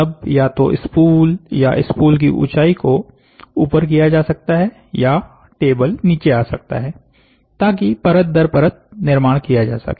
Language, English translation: Hindi, So, then either the spool can, the height of the spool can go high or the table can sink down so you create layer by layer